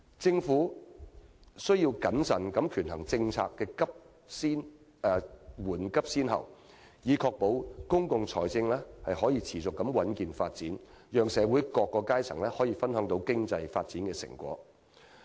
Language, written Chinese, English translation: Cantonese, 政府宜謹慎權衡政策的緩急先後，以確保公共財政能夠持續穩健發展，讓社會各階層分享經濟發展的成果。, That is why the Government should carefully consider the priorities of different policies to ensure the sustainable growth of our public finances so that people from all walks of life can share the fruits of economic advancement